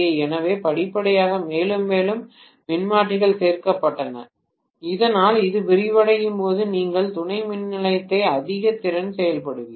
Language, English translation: Tamil, So step by step, more and more transformers were added so that as it expands you are going to have more and more capacity being added to the substation